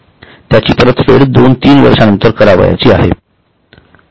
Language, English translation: Marathi, It is to be paid after two, three years